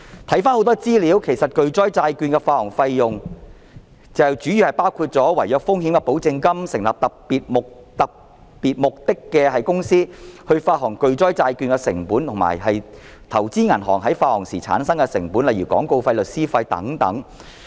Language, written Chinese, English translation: Cantonese, 很多資料顯示，巨災債券的發行費用主要包括違約風險保證金、成立特別目的公司、發行巨災債券的成本，以及投資銀行發行時產生的成本，例如廣告費、律師費等。, A lot of information has shown that the expenses of the issuance of catastrophe bonds mainly include the guarantee for default risk the setting up of dedicated companies the costs of issuing catastrophe bonds as well as the costs of issuance by investment banks such as advertisement legal costs and so on